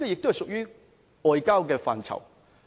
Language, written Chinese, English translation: Cantonese, 這亦屬於外交的範疇。, This is a question of foreign affairs